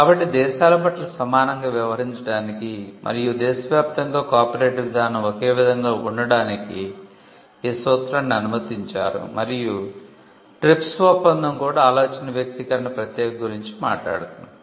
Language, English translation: Telugu, So, the most favoured nation principal allowed countries to be treated equally and to have a similar regime on copyright across nations and the TRIPS agreement also gives effect to the idea expression distinction